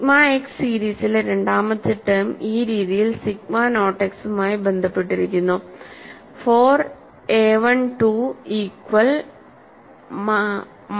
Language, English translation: Malayalam, And the second term in the sigma x series is related to sigma naught x in this fashion, 4 a 1 to equal to minus sigma naught x